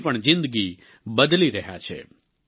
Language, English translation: Gujarati, He is changing their lives too